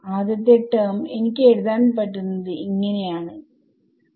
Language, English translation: Malayalam, So, the first term what will what I can write this as is